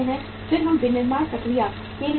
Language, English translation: Hindi, Then we go for the manufacturing process